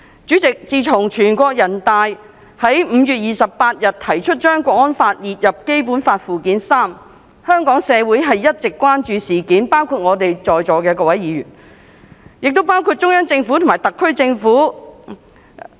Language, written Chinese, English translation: Cantonese, 主席，自全國人民代表大會在5月28日提出把《港區國安法》加入列於《基本法》附件三，香港社會一直關注此事，包括在座各位議員，亦包括中央政府及特區政府。, President the proposal put forth by the National Peoples Congress on 28 May to add HKNSL to Annex III to the Basic Law has remained a concern to Hong Kong society all along including Members present here now the Central Government and also the SAR Government